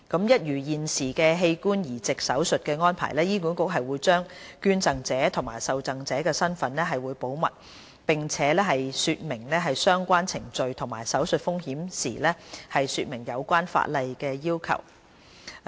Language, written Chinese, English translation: Cantonese, 一如現時器官移植手術的安排，醫管局會將捐贈者及受贈者的身份保密，並且在說明相關程序及手術風險時，解釋有關的法例要求。, Just like the current arrangement for organ transplant operation HA will keep in confidence the identities of donors and recipients on top of providing explanation on the relevant statutory requirements when laying out the procedures and operative risks concerned